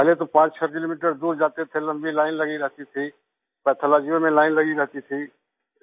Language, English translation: Hindi, And earlier they used to go 56 kilometres away… there used to be long queues… there used to be queues in Pathology